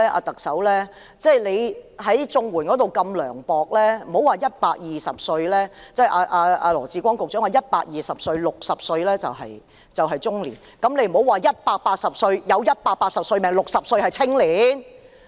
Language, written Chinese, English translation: Cantonese, 特首在綜援方面這麼涼薄，而羅致光局長說當大家有120歲壽命時 ，60 歲是中年，那為何不說當大家有180歲壽命時 ，60 歲是青年？, The Chief Executive has been so unsympathetic in respect of the Comprehensive Social Security Assistance whilst Secretary Dr LAW Chi - kwong has said that when we can live to 120 years old being 60 years old is just being middle - aged . Why does he not say that when we can live to 180 years old those aged 60 are just young people?